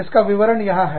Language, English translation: Hindi, The details are here